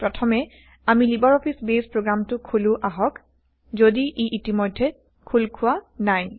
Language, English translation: Assamese, Let us first invoke the LibreOffice Base program, if its not already open